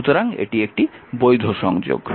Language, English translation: Bengali, So, this is invalid connection